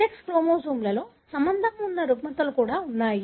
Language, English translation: Telugu, There are disorders as well associated with the sex chromosomes